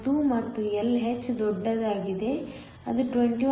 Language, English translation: Kannada, 2 and Lh is larger it is 21